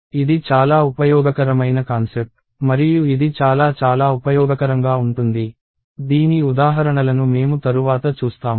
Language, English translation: Telugu, So, this is a very useful concept and it can come in very, very handy, we will see examples of this later